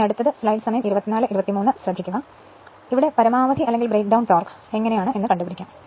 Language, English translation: Malayalam, Next is maximum or breakdown torque how to find out